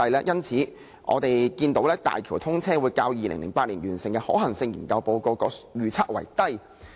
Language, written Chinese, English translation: Cantonese, 因此，我們可見，大橋車流量會較2008年完成的可行性研究報告的預測為低。, We can thus foresee a lower - than - expected traffic flow at HZMB when compared with the 2008 figure under the Feasibility Study